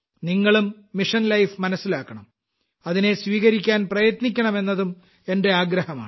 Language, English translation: Malayalam, I urge you to also know Mission Life and try to adopt it